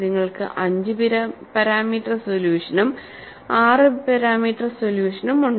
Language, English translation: Malayalam, Now, you have the 3 parameter solution; you have the 4 parameter solution now; and you have the 5 parameter solution and 6 parameter solution